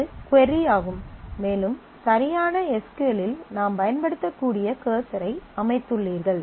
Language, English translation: Tamil, And this is the query, and you have set a cursor on that which you can make use of in the exact SQL